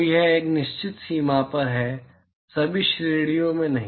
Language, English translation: Hindi, So, this is at a certain range not an all ranges